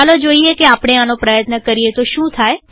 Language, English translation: Gujarati, Lets see what happens when we try this